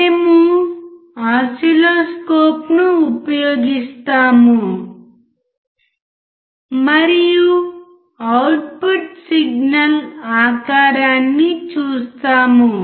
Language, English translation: Telugu, We use the oscilloscope and see the shape of the output signal